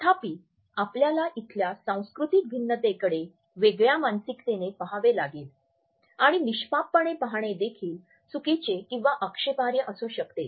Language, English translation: Marathi, However, we have to look at the cultural differences here in a different mindset and innocent looking at or a glaring can also be interpreted as improper or offensive